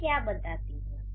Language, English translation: Hindi, So, what does it do